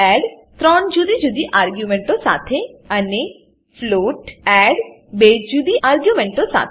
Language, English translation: Gujarati, int add with three different arguments and float add with two different arguments